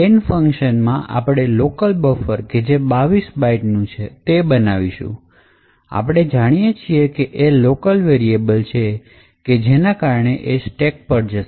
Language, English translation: Gujarati, Now in the scan function we declare a local buffer of 22 bytes and as we know since it is a local variable this array is allocated in the stack